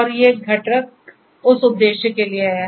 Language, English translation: Hindi, And these components are for that purpose